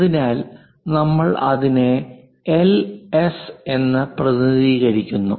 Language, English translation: Malayalam, So, we represent it by Ls